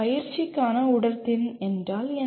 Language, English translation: Tamil, What is fitness for practice